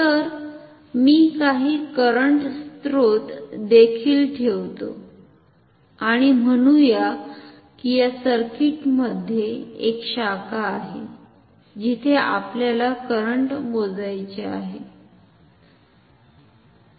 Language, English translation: Marathi, So, let me also put some current sources and say then there is a branch in this circuit where we want to measure the current; say we want to measure the current in this branch